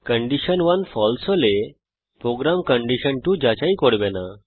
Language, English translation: Bengali, If condition 1 is false, then the program will not check condition2